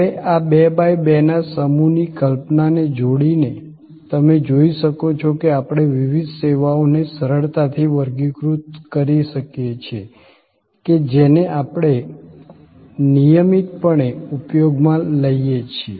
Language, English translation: Gujarati, Now, combining these 2 by 2 sets of concepts, you can see that we can easily classify different services that we are regularly using